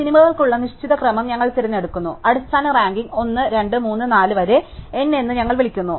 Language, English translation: Malayalam, So, we pick the certain order for the movies and we call that the basic ranking 1, 2, 3, 4 up to n